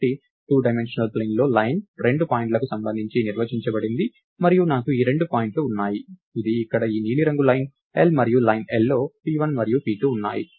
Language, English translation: Telugu, So, a point in two dimensional a line in a two dimensional plane is defined with respect to two points and I have these two points, this this is this blue line here is line l and line l line l has p1 and p2